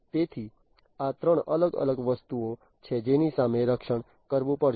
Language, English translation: Gujarati, So, these are the 3 different things against which the protections will have to be made